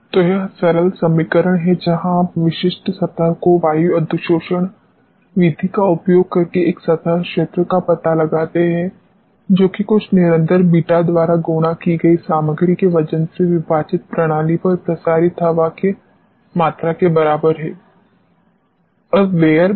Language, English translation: Hindi, So, this is simple equation where you find out the specific surface here a surface area by using air adsorption method which is equal to volume of air adsorbed on the system divided by the weight of the material multiplied by some constant beta